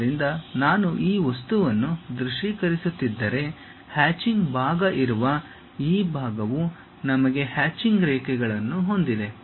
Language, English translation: Kannada, So, if I am visualizing this object, this part where the hatched portion is there we have that hatched lines